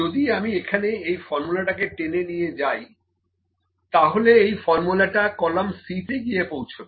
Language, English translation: Bengali, If I drag this formula here, it will also bring the formula to the C column